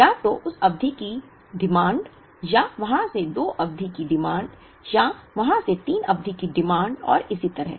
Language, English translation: Hindi, Either: the demand of that period, or the demand of two period, from there, or demand of three periods from there and so on